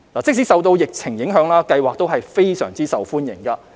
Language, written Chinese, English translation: Cantonese, 即使受到疫情影響，計劃仍非常受歡迎。, Despite the epidemic the scheme has been well received